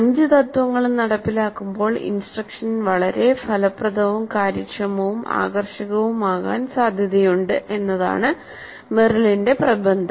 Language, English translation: Malayalam, As all the five principles get implemented, Meryl's thesis is that the instruction is likely to be very highly effective, efficient and engaging